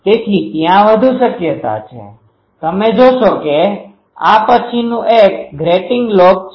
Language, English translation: Gujarati, So, there is a high chance, you see that these next one this is the grating lobe